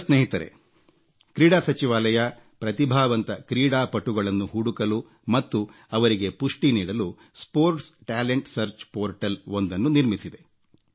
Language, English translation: Kannada, Young friends, the Sports Ministry is launching a Sports Talent Search Portal to search for sporting talent and to groom them